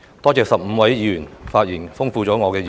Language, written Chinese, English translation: Cantonese, 我感謝15位議員的發言，豐富了我的議案。, I am grateful to the 15 Members who have spoken and given input on my motion